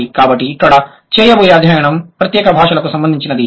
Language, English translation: Telugu, So, here the study is going to be related to particular languages